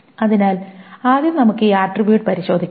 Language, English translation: Malayalam, So first of all, let us take up this attribute